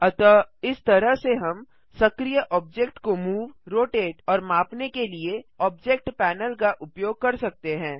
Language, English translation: Hindi, So this is how we can use the Object panel to move, rotate and scale the active object